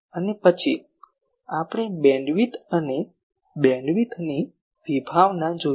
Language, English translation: Gujarati, And after that we have seen the concept of beamwidth and concept of bandwidth